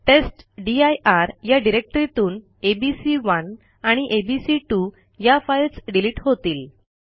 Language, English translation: Marathi, The testdir directory contains two files abc2 and abc1